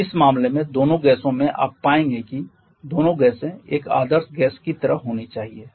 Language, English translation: Hindi, And in this case both gases you will find that both gases should be like an ideal gases